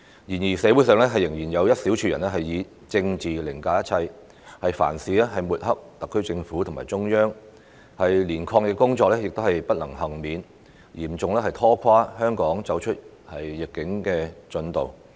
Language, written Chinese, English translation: Cantonese, 然而，社會上仍有一小撮人以政治凌駕一切，對特區政府和中央凡事抹黑，就連抗疫工作亦不能幸免，嚴重拖垮香港走出疫境的進度。, However there is still a small group of people in society who puts politics over everything . They smear everything related to the SAR Government and the Central Authorities even anti - epidemic efforts are not spared . This has seriously procrastinated the progress of Hong Kong in getting out of the epidemic situation